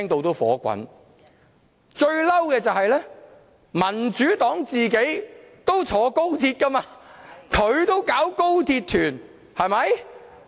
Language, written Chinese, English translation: Cantonese, 最氣憤的是，民主黨自己也坐高鐵，它也舉辦高鐵旅行團。, It is most furious that the Democratic Party itself also takes the XRL . It has also organized XRL tours . It takes the XRL while it opposes the XRL